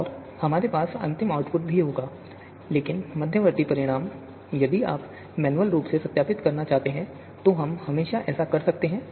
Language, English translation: Hindi, And we just you know of course, we will have the final output as well, but the intermediate how you know if you want to verify manually, so we can always do that